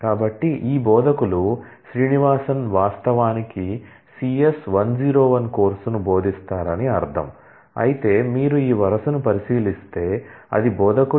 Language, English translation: Telugu, So, which says the this instructors Srinivasan actually teaches the course CS 101 whereas, if you look into this row, it says that instructor